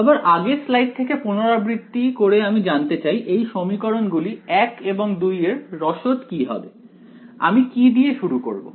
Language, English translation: Bengali, Again repeating from previous few slides, what would be the recipe of these equations say 1 and 2, what do I start with